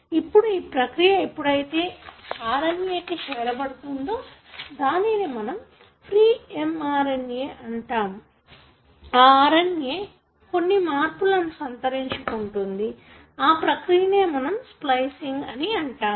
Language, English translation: Telugu, Now this, during this process when the RNA is made which you call the pre mRNA, this RNA undergoes certain changes and this process is called as splicing